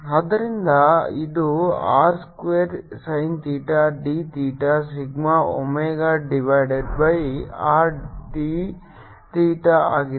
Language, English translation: Kannada, so this will be r square, sin theta, d theta, d, omega, divided by r d theta